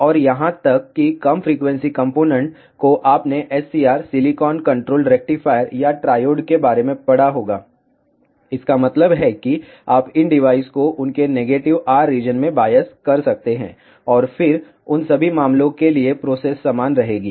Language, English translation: Hindi, And even low frequency components you might have read about SCR Silicon Controlled Rectifier or triode, so that means, you can bias these devices in their negative R region, and then the process will remain same for all those cases